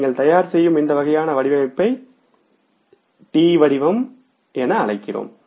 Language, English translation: Tamil, So when you prepare this kind of the format it is called as a T format